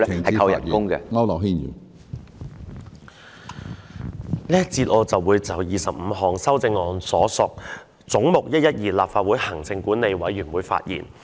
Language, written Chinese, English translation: Cantonese, 在這個環節，我會就編號25有關"總目 112─ 立法會行政管理委員會"的修正案發言。, In this session I will speak on Amendment No . 25 in relation to Head 112―Legislative Council Commission